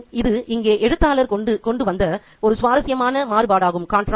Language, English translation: Tamil, Again, this is a very interesting contrast brought out by the writer here